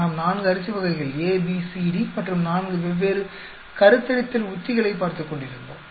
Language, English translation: Tamil, We were looking at 4 varieties of rice A, B, C, D and 4 different fertilization strategies